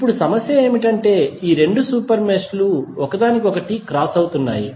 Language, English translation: Telugu, Now, the problem is that these two meshes are crossing each other